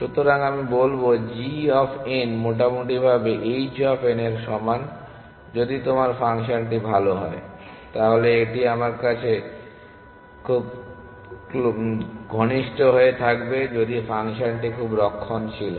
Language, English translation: Bengali, So, I will say g of n is roughly equal to h of n if your function is good, then it will be closer to me equal if the function is very conservative